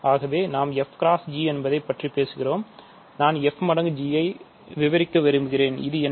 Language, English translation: Tamil, So, let us say f times g, I want to describe f times g, what is this